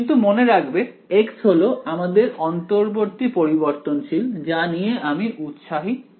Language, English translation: Bengali, But remember x is our intermediate variable I am not really interested in x